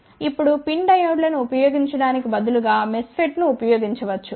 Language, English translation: Telugu, Now, instead of using PIN diodes 1 can also use MESFET